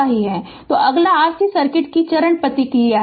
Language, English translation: Hindi, So, next is step response of an RC circuit